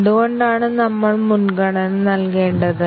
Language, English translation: Malayalam, Why do we need to prioritize